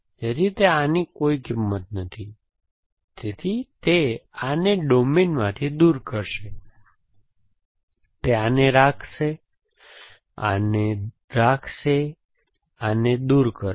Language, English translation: Gujarati, So, it, this one has no values, so it will remove this from the domain, it will keep this, it will keep this and will remove this